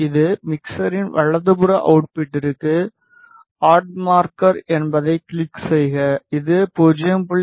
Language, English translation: Tamil, This is our output of the mixer right, click add marker; if you see this is at 0